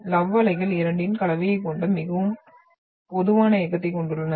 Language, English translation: Tamil, The love waves are having very typical motion which has an mixture of both